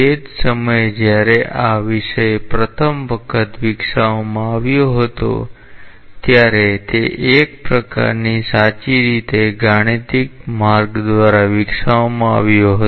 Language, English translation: Gujarati, At the same time when the subject was first developed it was developed in a sort of true mathematical way